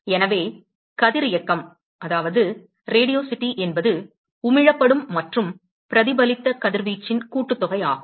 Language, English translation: Tamil, So, Radiosity is essentially the sum of, what is Emitted plus the Reflected radiation